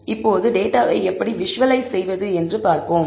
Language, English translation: Tamil, Now, let us see how to visualize the data